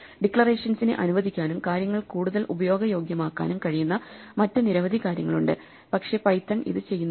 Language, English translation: Malayalam, There are situations in which Python allows declarations, but there are many other things where it could allow declarations and make things more usable, but it does not and this is one example